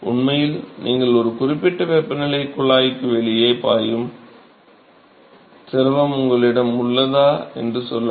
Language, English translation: Tamil, Actually when you have let us say if you have a fluid which is flowing outside the tube which is at a certain temperature